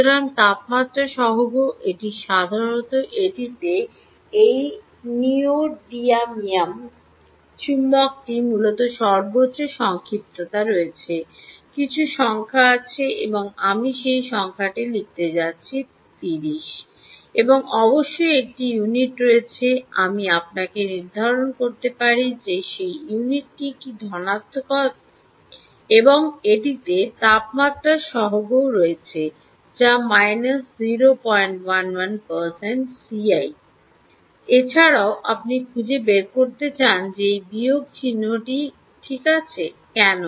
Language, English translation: Bengali, this neodymium magnet essentially has the highest coercivity, some number, and i am go to write down that number, which is thirty, and there is a unit, of course i let you figure out what is that unit of coercivity and it all so has temperature coefficient which is zero point one, one percent per degree celsius, ah, um, and with a minus sign